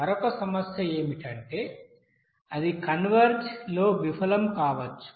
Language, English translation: Telugu, Another problem is that it may fail to converge